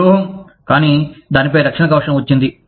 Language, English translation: Telugu, It is metallic, but it got a protective covering on it